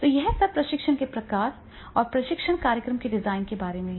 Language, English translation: Hindi, So, this is all about the types of training and the designing of the training program